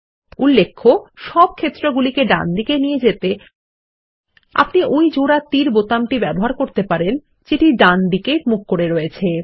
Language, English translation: Bengali, Note that to move all the fields to the right we can use the double arrow button that points to the right